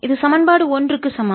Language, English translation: Tamil, that's equation number one